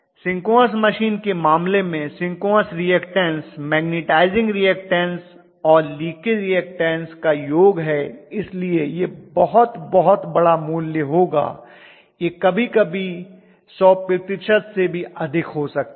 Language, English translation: Hindi, In the case of synchronous machine because your synchronous reactance is the magnetizing reactance plus the leakage together I am going to have this to be a very very large value, it can be greater than 100 percent sometimes